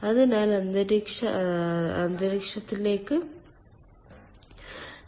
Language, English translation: Malayalam, so there is no heat exchange to the ambient atmosphere